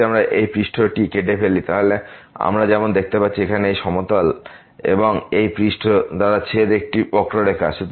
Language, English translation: Bengali, If we cut this surface, then we as we can see here there is a curve of intersection here by this plane and the surface